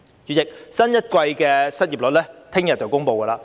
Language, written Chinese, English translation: Cantonese, 主席，新一季的失業率將於明天公布。, President the unemployment rate for the latest quarter will be announced tomorrow